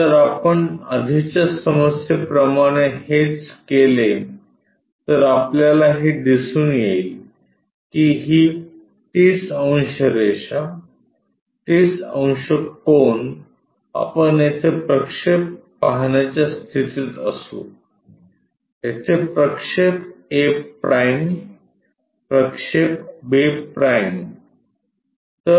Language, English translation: Marathi, If, we do that same as earlier problem, we will get that these 30 degrees line, the 30 degrees angle we will be in a position to see projection here a’ projection, b’